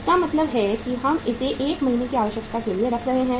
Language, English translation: Hindi, It means we are keeping it for 1 month requirement